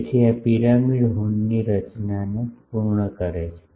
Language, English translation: Gujarati, So, this completes the design of a pyramidal horn